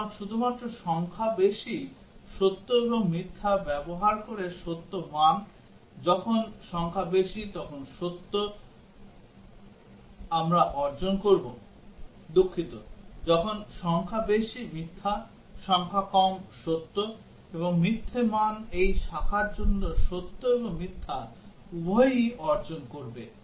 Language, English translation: Bengali, So, using only the digit lows true and false values, when the digit high is true we will achieve, sorry when the digit high is false, the digit low is true and false value will achieve both the true and false for this branch